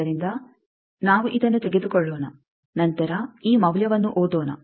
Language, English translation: Kannada, So, let us take this one then read this value